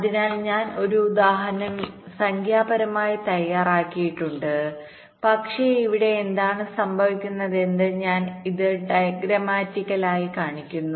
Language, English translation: Malayalam, let us see with the help of an example so i have worked out an example numerically, but here i am showing it diagrammatically what happens